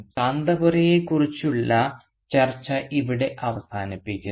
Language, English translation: Malayalam, So here we end our discussion on Kanthapura